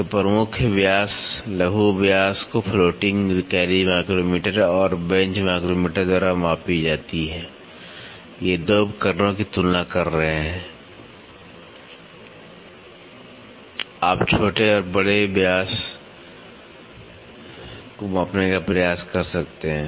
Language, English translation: Hindi, So, major diameter, minor diameter can be measured by floating carriage micrometer and the bench micrometer, these 2 are comparing devices with this you can try to measure the major and minor diameter